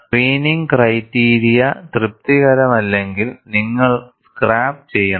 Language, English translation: Malayalam, If the screening criteria is not satisfied, you have to scrap